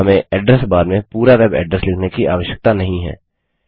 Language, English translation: Hindi, We dont have to type the entire web address in the address bar